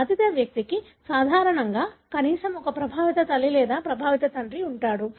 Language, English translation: Telugu, Affected person usually has at least one affected parent